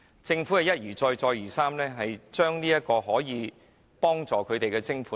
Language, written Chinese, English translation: Cantonese, 政府一而再、再而三減少用作協助病人的徵款。, The Government has repeatedly reduced the levy threshold that supposedly is used for providing help to the patients